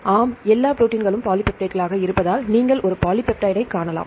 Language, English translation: Tamil, Yes, all proteins are polypeptides because you can see a polypeptide